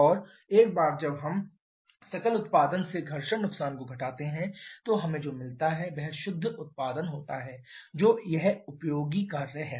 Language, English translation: Hindi, And once we subtract the frictional losses from gross output what we get that is the net output which is this useful work